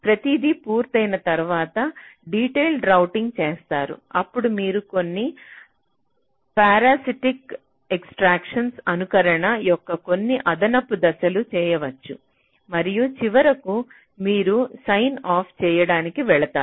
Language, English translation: Telugu, so once everything is done, then you do detailed routing, then you can do some parasitic extraction, some additional steps of simulation and finally you proceed to sign off